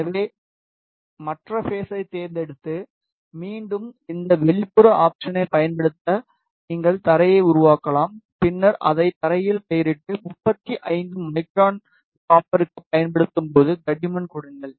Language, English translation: Tamil, So, you can make the ground just to do that select the other face and again use this that extrude option, and then name it is ground and give the thickness as you use it for copper that is 35 micron